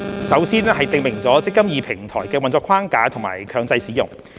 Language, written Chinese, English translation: Cantonese, 首先是訂明"積金易"平台的運作框架和強制使用。, First it provides for the operating framework and mandatory use of the eMPF Platform